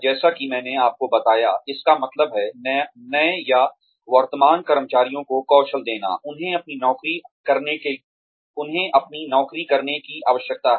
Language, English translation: Hindi, Like I told you, it means, giving new or current employees the skills, they need to perform their jobs